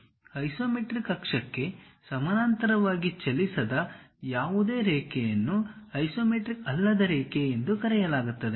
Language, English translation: Kannada, Any line that does not run parallel to isometric axis is called non isometric line